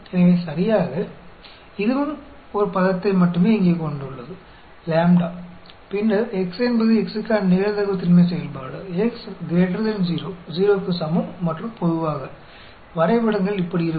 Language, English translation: Tamil, So exactly, this also has only one term lambda here, and then, x is the probability density function for x; x is greater than 0, equal to 0, and generally, the graphs look like this